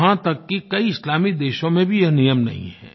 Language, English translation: Hindi, Even in many Islamic countries this practice does not exist